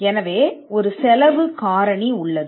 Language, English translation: Tamil, So, there is a cost factor involved